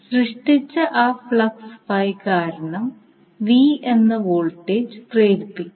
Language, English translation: Malayalam, So because of that flux generated you will have the voltage V induced